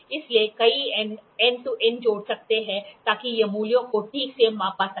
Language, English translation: Hindi, So, several Add ons can be added such that it can measure the values properly